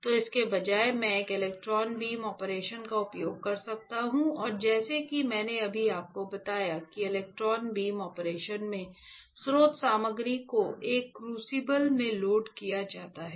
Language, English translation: Hindi, So, instead of that I can use an electron beam operation and as I just told you that in electron beam operation, the source material is loaded in a crucible